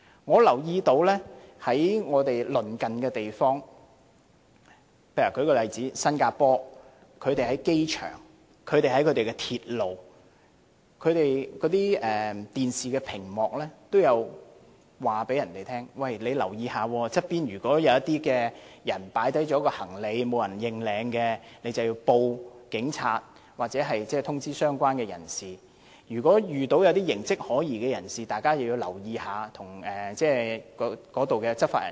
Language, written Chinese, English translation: Cantonese, 我留意到鄰近香港的地方，例如新加坡在其機場、地鐵站的電視屏幕均有顯示信息警告市民，要留意周邊的地方，如有人放下行李，而又沒有人認領時，市民便要向警察報案，或通知相關的人士；如果遇到一些形跡可疑的人士，大家要留意，並告訴在場的執法人員。, I notice that in Singapore a neighbouring country of Hong Kong there are messages constantly displayed on the television screens in its airport and Mass Rapid Transport stations warning the citizens to stay alert of their surroundings . If a suitcase has been left unclaimed the public should report to the police or inform the personnel concerned . If they notice any suspicious looking people they should stay alert and tell the law enforcement officers on the scene